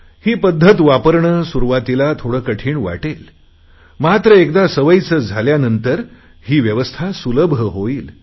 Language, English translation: Marathi, In the beginning it may appear to be a bit difficult, but once we get used to it, then this arrangement will seem very easy for us